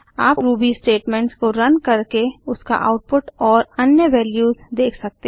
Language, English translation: Hindi, You can run Ruby statements and examine the output and return values